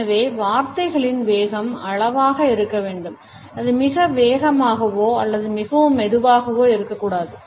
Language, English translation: Tamil, So, the speed of the words has to be measured, it should neither be too fast nor too slow